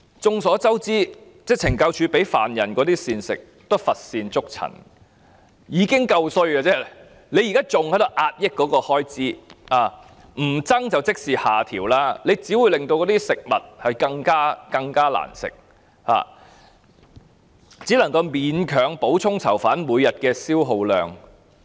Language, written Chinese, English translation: Cantonese, 眾所周知，懲教署向犯人提供的膳食一向乏善可陳，已經是很差劣的，現在還要壓抑膳食開支，不增加便等於下調，這樣只會令食物更加難吃，只能夠勉強補充囚犯每天的消耗量。, We all know that the meals provided by CSD to prisoners always leave a lot to be desired . They are already of very poor in quality and now the expenditure for meal provisions even has to be suppressed as it means a downward adjustment in the expenditure when there is no increase of it . This will only make the meals even more unpalatable and the meals can only barely make up for the daily energy consumption of the prisoners